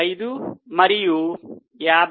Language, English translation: Telugu, 15 and 53